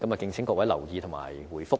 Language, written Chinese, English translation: Cantonese, 敬請各位留意和回覆。, Please be noted about that and give me a reply